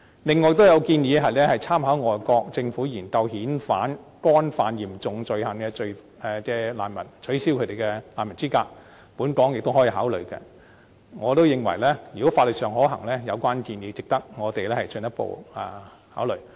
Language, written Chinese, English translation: Cantonese, 此外，亦有建議參考並研究外國政府遣返干犯嚴重罪行的難民的做法，取消他們的難民資格，本港亦可以考慮這種做法，我亦認為如果法律上可行，有關建議值得我們進一步考慮。, Apart from this there is also the suggestion that we should study and learn from foreign governments practice of revoking the refugee status of those who have committed serious crimes and repatriating them . Hong Kong may consider adopting the same practice . I also think that this suggestion merits our further consideration if it is legally viable